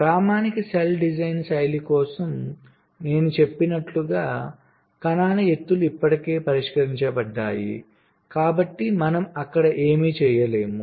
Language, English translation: Telugu, so for standard cell design style, as i have said, the heights of the cells are already fixed, so we cannot do anything there